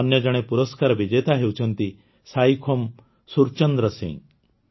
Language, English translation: Odia, There is another award winner Saikhom Surchandra Singh